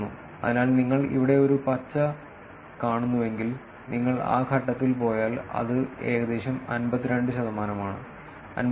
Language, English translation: Malayalam, So, if you see here green one, if you go at that point it is about 52 percent, 52